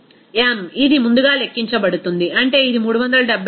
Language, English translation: Telugu, m it is calculated earlier, that is it is coming 374